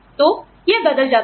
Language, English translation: Hindi, So, it changes